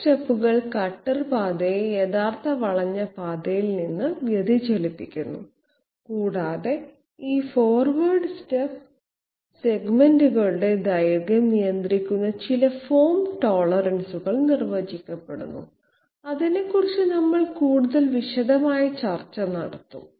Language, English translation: Malayalam, Forward steps make the cutter path deviate from the actual path actual curved path and some form tolerances defined which restricts the length of these forward step segments, we will have more detailed discussion on that